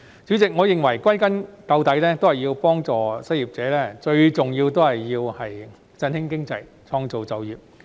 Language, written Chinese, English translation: Cantonese, 主席，我認為歸根究底，要幫助失業者，最重要的是振興經濟、創造就業。, President I believe that in the final analysis it is most important to revive the economy and create job opportunities in order to help the unemployed